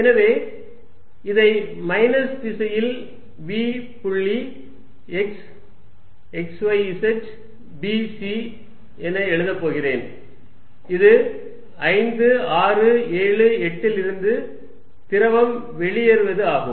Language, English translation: Tamil, So, I am going to write this as v dot x in the minus direction at x, y, z b c this is fluid leaving from 5, 6, 7, 8